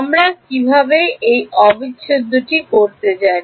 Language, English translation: Bengali, Do we know how to do this integral